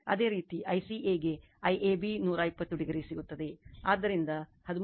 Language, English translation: Kannada, Similarly I CA you will get I AB 120 degree, so you will get 13